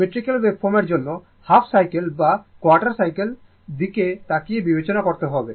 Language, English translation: Bengali, For symmetrical waveform, you have to consider half cycle or even quarter cycle looking at this